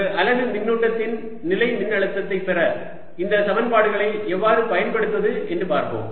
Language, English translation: Tamil, let us see how do we use these equations to get electrostatic potential for a unit charge